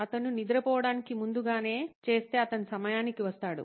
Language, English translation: Telugu, If he is early to go to sleep, he will be on time